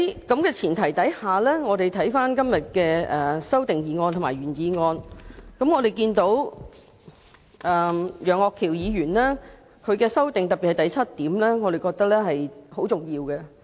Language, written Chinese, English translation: Cantonese, 在這前提下，就今天的原議案和修正案，我們看到楊岳橋議員的修正案第七項，我們認為是很重要的。, On this premise in regard to the original motion and its amendments we think item 7 of Mr Alvin YEUNGs amendment is very important